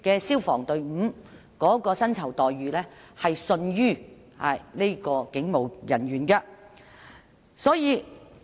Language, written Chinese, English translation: Cantonese, 消防人員的薪酬待遇亦因而遜於警務人員。, Since then the remuneration packages of fire personnel have been inferior to those of police officers